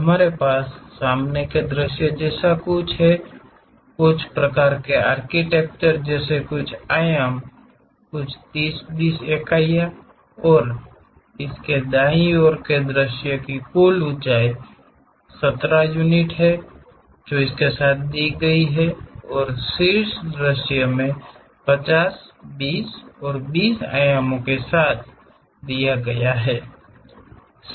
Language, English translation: Hindi, We have something like a front view, having certain dimensions like steps kind of architecture, some 30, 20 units and its right side view is given with total height 70 units and the top view is given with dimensions 50, 20 and 20